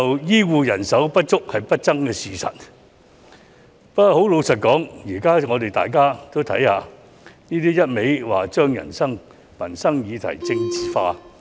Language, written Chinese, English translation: Cantonese, 醫護人手不足是不爭的事實，但老實說，現在大家都看到，他只是不斷把民生問題政治化。, The shortage of healthcare manpower is an indisputable fact . Frankly speaking however we can all see that he is incessantly politicizing livelihood issues